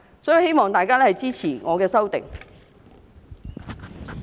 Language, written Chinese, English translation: Cantonese, 所以，我希望大家支持我的修正案。, I thus hope that Members will support my amendment